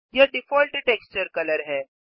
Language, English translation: Hindi, This is the default texture color